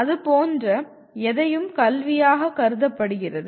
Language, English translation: Tamil, Anything like that is considered education